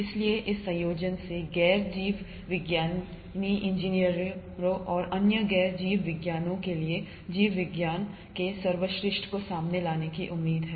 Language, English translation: Hindi, So this combination is expected to bring out the best of biology for non biologist engineers and other non biologists